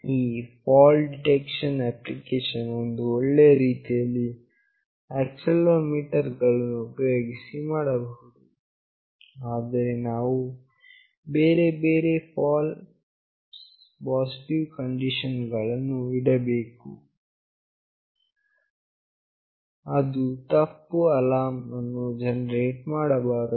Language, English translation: Kannada, This fault detection application can be very nicely done using this accelerometer, but we need to keep various false positive conditions, it should not generate some false alarm